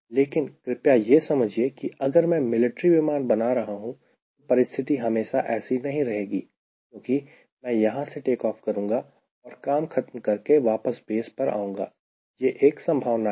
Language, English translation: Hindi, but please understand, if i am designing a military aircraft, the situation may not be always this, because i take off from here, beat the job and i come back to the base